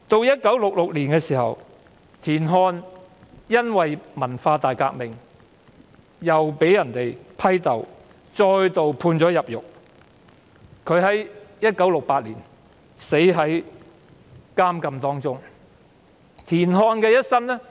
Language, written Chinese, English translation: Cantonese, 1966年，田漢在文化大革命中被批鬥，並再度被判入獄 ，1968 年在囚禁期間逝世。, In 1966 TIAN Han was criticized and denounced during the Cultural Revolution and sentenced to imprisonment again . He died in prison in 1968